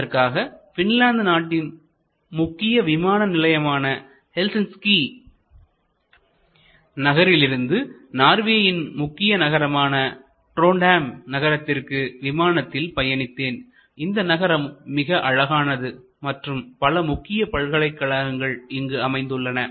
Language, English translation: Tamil, Recently, when I was there at a conference in Norway, I flew from Helsinki the main airport of Finland to Trondheim, this, a main an interesting small airport of Norway, a beautiful city and the seat of a major university there